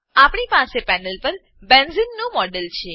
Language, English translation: Gujarati, We have a model of benzene on the panel